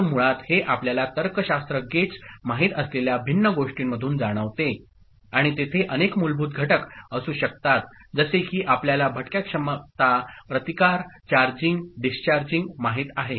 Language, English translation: Marathi, So, basically it goes through different you know logic gates, and there could be various basic components like you know stray capacitances, resistances, so charging, discharging